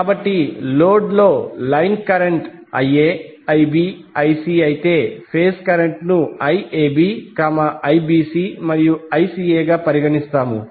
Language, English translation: Telugu, So if the line current is Ia, Ib, Ic in the load we consider phase current as Iab, Ibc and Ica